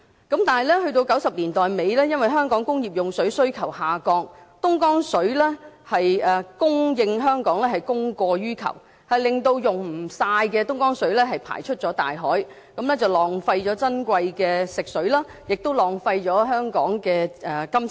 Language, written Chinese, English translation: Cantonese, 但是，在1990年代末，由於香港工業用水需求下降，供應香港的東江水是供過於求，令未能盡用的東江水排出大海，浪費了珍貴的食水，亦浪費了香港的金錢。, However in the late 1990s due to the decline in demand for industrial water in Hong Kong the supply of Dongjiang water in Hong Kong exceeded the demand leading to unused portion of Dongjiang water being discharged into the sea . Precious water was wasted and money of Hong Kong was also lost . Therefore since 2006 the SAR Government has switched to the package deal lump sum model instead